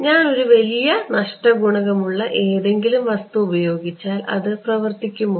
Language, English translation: Malayalam, if I just put something with a large loss coefficient will it work